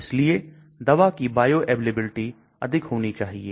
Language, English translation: Hindi, So the bioavailability of a drug should be high